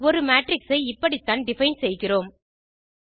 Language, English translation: Tamil, This is expected in the way a matrix is defined